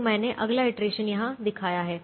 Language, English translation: Hindi, so i have shown the next iteration here